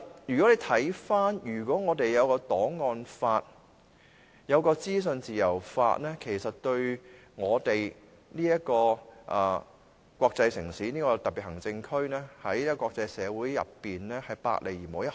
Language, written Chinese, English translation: Cantonese, 如果我們有檔案法和資訊自由法，其實對香港這個國際城市、這個特別行政區，在國際社會之中是百利而無一害的。, If we have archives law and legislation on freedom of information it will do all good but no harm to the international city and Special Administrative Region of Hong Kong in the international community